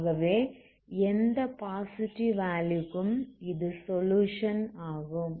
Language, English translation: Tamil, So for any a positive this is what is also solution